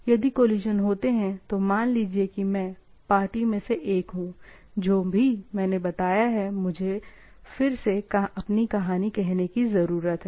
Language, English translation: Hindi, If there are collision, then say I am one of the party, I need to again tell my own story, whatever I have told